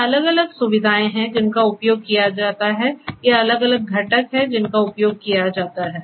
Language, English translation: Hindi, These are the different facilities that are used and that are the, these are the different components that are used